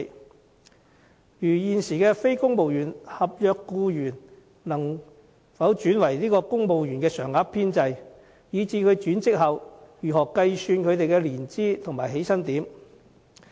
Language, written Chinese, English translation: Cantonese, 例如，現時非公務員合約僱員可否轉為加入公務員常額編制，若可以這樣轉職，又應如何計算他們的年資和起薪點呢？, For instance is it possible to convert non - civil service contract staff to civil servants on permanent establishment? . If conversion is possible how should their seniority and entry points be determined?